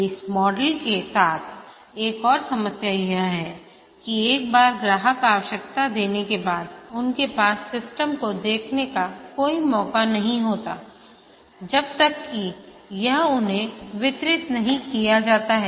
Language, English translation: Hindi, Another problem with this model is that once the customer gives the requirement they have no chance to see the system till the end when it is delivered to them